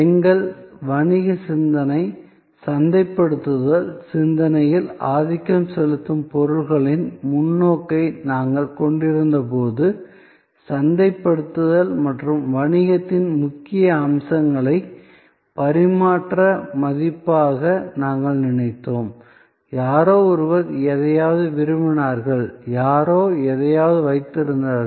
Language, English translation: Tamil, So, when we had the goods perspective, dominating our business thinking, marketing thinking, we thought of marketing and the core of business as exchange a values, somebody wanted something and somebody had something